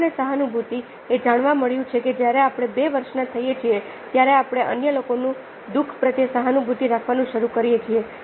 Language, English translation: Gujarati, age and empathy: it has been found that by the time we are two years old, we start ah becoming empathy